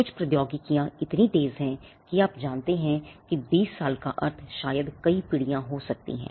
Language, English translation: Hindi, Some technologies are so quick they are you know twenty years maybe many generations for all you know it could be many generations